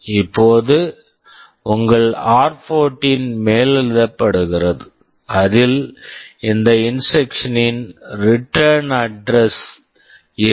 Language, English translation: Tamil, Now your r14 gets overwritten, it will contain the return address of this instruction